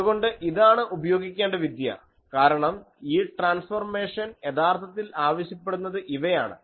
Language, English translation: Malayalam, So, this is the technique that should be used, because this transformation actually demands these